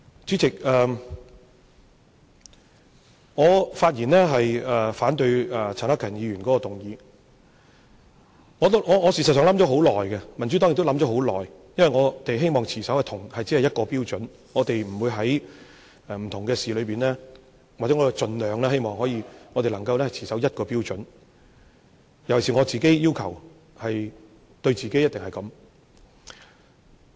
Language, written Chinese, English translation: Cantonese, 主席，我發言反對陳克勤議員的議案，事實上，我想了很久，民主黨亦想了很久，因為我們希望，或者說，我們是希望盡量能在不同事宜上，皆持守一個標準，我尤其要求自己一定要這樣。, President I speak to oppose Mr CHAN Hak - kans motion . In fact I have thought it over for a long time . The Democratic Party has also thought it over for a long time because we hope or put it this way we are hoping to do our best to adhere to the same standard on different issues